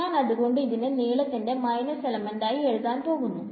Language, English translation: Malayalam, So, I am going to write a minus the length element is again going to be delta x